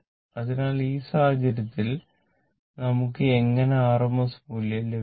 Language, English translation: Malayalam, So, in this case, suppose now how we will get the r m s value